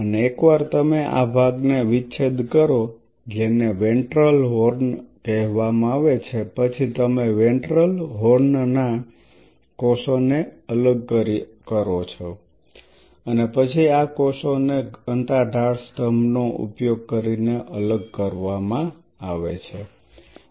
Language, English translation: Gujarati, And once you dissect out this part which is called the ventral horn then you dissociate the cells of ventral horn and these cells then are being separated using density gradient column